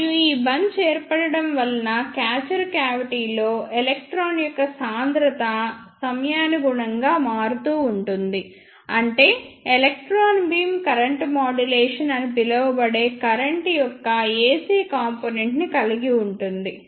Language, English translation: Telugu, And because of this bunch formation, the density of the electron in the catcher cavity varies periodically with time that means the electron beam contains ac component of the current that is known as current modulation